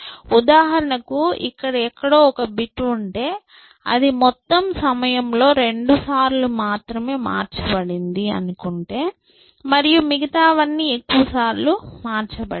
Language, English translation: Telugu, So, for example, if somewhere here, there is a bit which has been change only twice in my whole this thing and everything else is large number of times